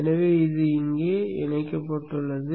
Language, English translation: Tamil, So this gets connected here